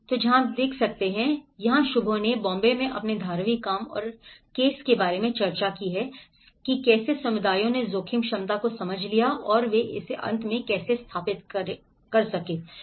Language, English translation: Hindi, So, this is where Shubho have discussed about his Dharavi work in Bombay and how the communities have understood the risk potential and how they cross verified it at the end